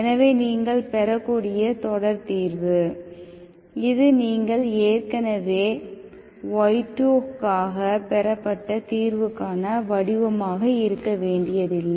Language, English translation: Tamil, So the series solution which you may get, this need not be exactly this is not the expression for the solution which you have already derived for y2